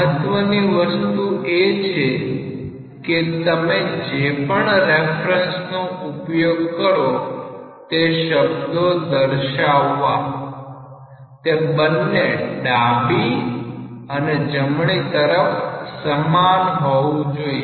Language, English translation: Gujarati, Important thing is whatever reference you use for postulating the different terms, it should be same in the left hand side and right hand side